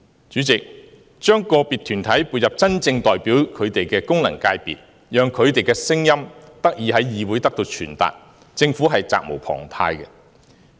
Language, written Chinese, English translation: Cantonese, 主席，將個別團體撥入真正代表他們的功能界別，讓他們的聲音得以在議會內傳達，政府是責無旁貸的。, President the Government has the due responsibility to include certain groups into the FC which really represent them so that their voices can be heard in the Legislative Council